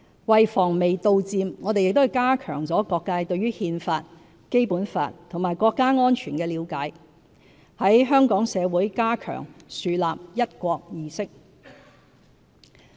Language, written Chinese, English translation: Cantonese, 為防微杜漸，我們亦加強了各界對憲法、《基本法》和國家安全的了解，在香港社會加強樹立"一國"意識。, To nip the problem in the bud we have also reinforced among all sectors understanding of the Constitution the Basic Law and national security and fostered an awareness of one country in the community